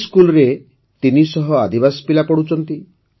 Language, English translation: Odia, 300 tribal children study in this school